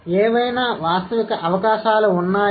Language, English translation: Telugu, Are there any realistic prospects